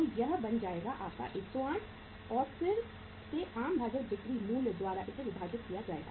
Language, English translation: Hindi, So it will become that is your 108 and to be divided again by the selling price as the common denominator